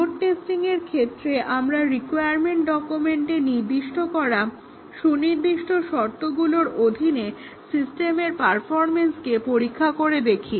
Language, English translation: Bengali, In load testing, we check the system performance under specified conditions that have been specified in the requirements document